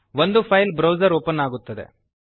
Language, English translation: Kannada, Again, the file browser opens